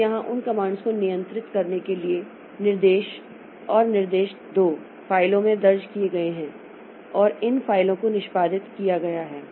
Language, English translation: Hindi, So, here the commands and directives to control those commands are entered into files and those files are executed